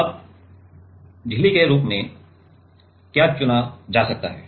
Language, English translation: Hindi, Now, what are like what can be choosed as membrane